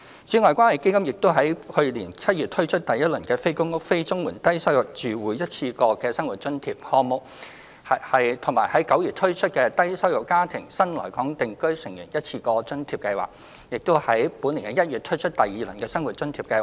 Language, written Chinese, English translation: Cantonese, 此外，關愛基金已於去年7月推出第一輪的"非公屋、非綜援的低收入住戶一次過生活津貼"項目及9月推出"低收入家庭的新來港定居成員一次過津貼"計劃，並剛於本年1月推出第二輪的生活津貼項目。, In addition the Community Care Fund has launched the first round of the One - off Living Subsidy for Low - income Households Not Living in Public Housing and Not Receiving Comprehensive Social Security Assistance Programme and the One - off Allowance for New Arrivals from Low - income Families Programme in July and September 2020 respectively . The second round of the Living Subsidy Programme has just been rolled out in January 2021